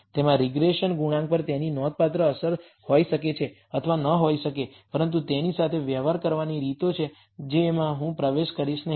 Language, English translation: Gujarati, It may not have it may or may not have a significant effect on the regression coefficient, but there are ways of dealing with it which I will not go into